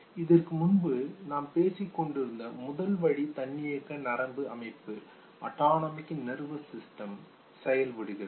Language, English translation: Tamil, So the first channel that we were talking about once the autonomic nervous system is put into action